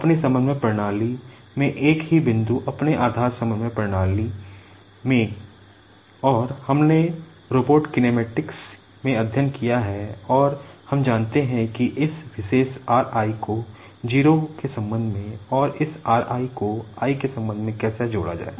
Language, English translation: Hindi, And, we have studied in robot kinematics and we know how to relate this particular r i with respect to 0 and this r i with respect to i